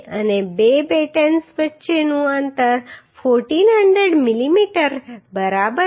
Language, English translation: Gujarati, and the spacing between two battens are 1400 mm right